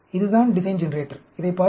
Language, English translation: Tamil, This is the design generator; have a look at it